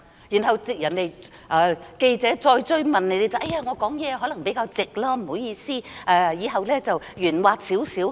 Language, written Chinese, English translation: Cantonese, 然後記者再追問她，她才說自己說話可能比較直接，不好意思，以後會圓滑少許。, When a journalist posed her a follow - up she finally indicated that she might be too blunt when making that remark said sorry and that she would be more tactful in future